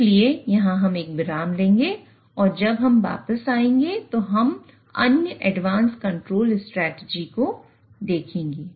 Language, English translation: Hindi, So we'll take a break here when we come back, we'll look at the other advanced control strategies